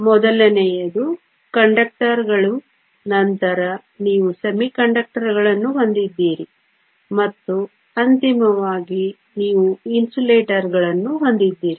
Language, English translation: Kannada, The first one is Conductors, then you have Semiconductors and then finally, you have Insulators